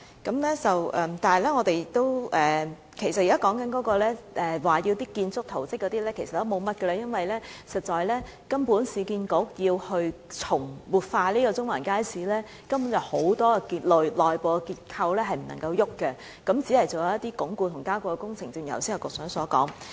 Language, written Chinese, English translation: Cantonese, 但是，其實議員所說的建築圖則數目也很少，因為市建局如要活化中環街市，根本有很多內部結構不能變動，只可進行一些鞏固和加固的工程，正如局長剛才所說。, In fact there are only a few building plans which Member requests to see . It is because URA is required to keep a large part of the internal structure of the Central Market Building unchanged when it revitalizes the building . URA can only conduct some strengthening and stabilization works like the Secretary just said